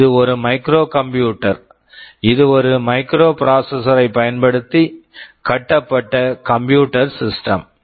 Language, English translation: Tamil, This is a microcomputer, it is a computer system built using a microprocessor